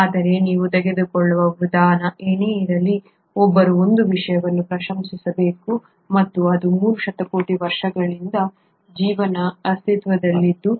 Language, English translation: Kannada, But whatever the approach you take, one has to appreciate one thing and that is life has been in existence for 3 billion years